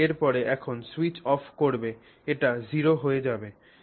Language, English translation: Bengali, If you switch it off, it drops to zero